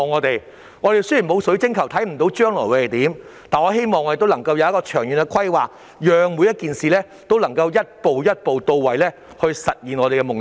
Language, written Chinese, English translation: Cantonese, 雖然我們沒有水晶球，看不到將來會如何，但我希望當局能有長遠規劃，讓每件事可以逐步到位，實現我們的夢想。, We have no crystal ball to see the future but I hope that the authorities can make long - term planning so that we can finish each task step - by - step and realize our dreams